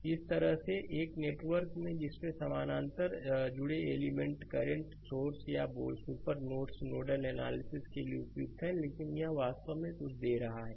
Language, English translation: Hindi, And similarly, a network that contains parallel connected elements, current sources or super nodes are suitable for nodal analysis right, but this is actually something we are giving